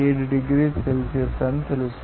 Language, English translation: Telugu, 7 degrees Celsius